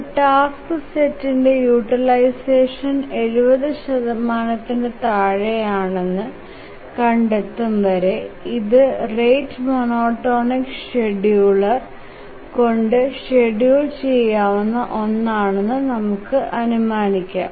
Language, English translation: Malayalam, So, as long as we find that a task set, the utilization is less than 70 percent, we can conclude that it can be feasibly scheduled by a rate monotonic scheduler